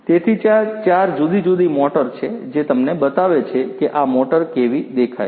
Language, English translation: Gujarati, So, you know so, there are four different motors let me show you how this motor looks like